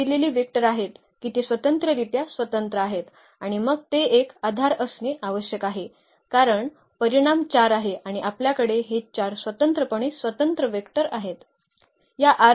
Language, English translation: Marathi, So, here are the given vectors they are linearly independent and then they it has to be a basis because, the dimension is 4 and we have these 4 linearly independent vectors